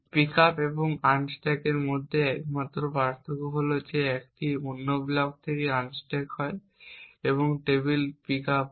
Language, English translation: Bengali, The only different between pick up and unstack is it unstack happens from another block and pick up happens from the table